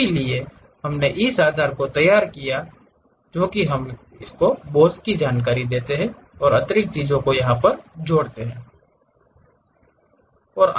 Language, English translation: Hindi, So, we have prepared base on that we are going to add boss information, extra things